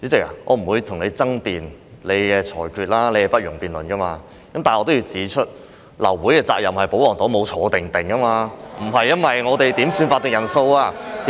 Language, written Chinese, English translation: Cantonese, 但是，我仍要指出，流會是保皇黨的責任，他們沒有"坐定定"，流會不是因為我們要求點算法定人數。, But I still wish to point out that the royalist camp is to blame for the abortions of meetings . They did not sit still . The abortions of meetings were not due to our requests for headcounts